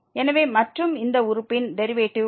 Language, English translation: Tamil, So, we have to get the derivative of this term and the derivative of this term